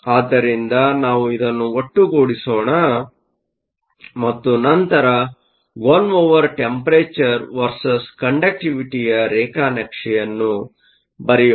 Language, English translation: Kannada, So, let us put this together and then do a plot of the conductivity versus one over temperature